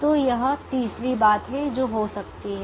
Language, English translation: Hindi, so this is the third thing that can happen